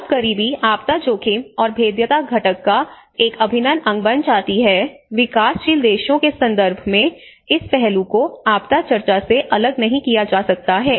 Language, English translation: Hindi, When poverty becomes an integral part of the disaster risk and the vulnerability component, and in the context of developing countries this aspect cannot be secluded from the disaster discussion